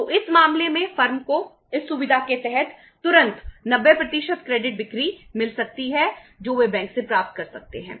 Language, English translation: Hindi, So in this case firm immediately could get 90% of the credit sales they could immediately get from the bank under this facility